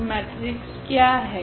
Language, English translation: Hindi, So, what is the matrix